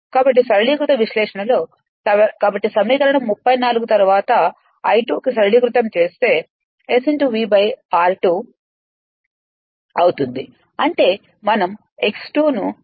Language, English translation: Telugu, So, therefore, equation 34, then simplified to I 2 dash will be S v upon r 2 dash I mean we are see neglecting x 2 dash